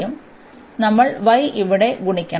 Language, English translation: Malayalam, So, y we have has to be multiplied here